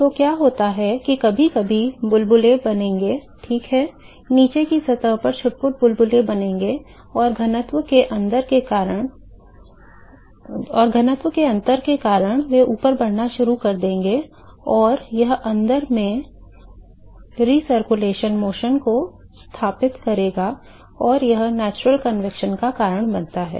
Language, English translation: Hindi, So, what happens is there will be occasional bubbles which will be formed ok, sporadic bubbles will be formed at the bottom surface, and because of the density difference, they will start moving up and this will setup the recirculation motion in the in the in this container and causes the natural convection